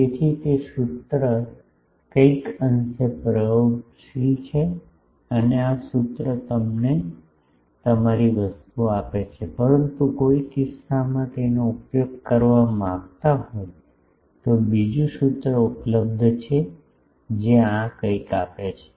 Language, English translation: Gujarati, So, that formula is somewhat empirical and this formula gives you good thing, but just in case someone wants to use it another formula is available that gives something like this